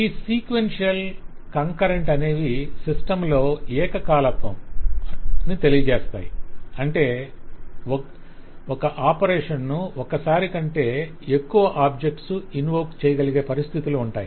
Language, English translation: Telugu, these are qualifiers to take care of concurrency in the system so that there are situations where a particular operation maybe invoked by more than one object at a time